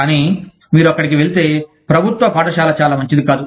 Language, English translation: Telugu, But, if you go there, state run school are not very good